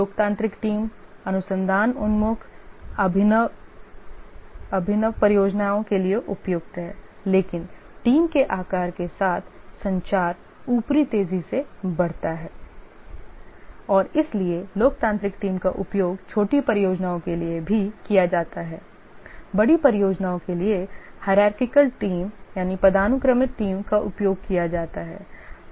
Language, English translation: Hindi, The democratic team is suitable for research oriented, innovative projects, but the communication overhead increases rapidly with team size and therefore democratic team is also used for small projects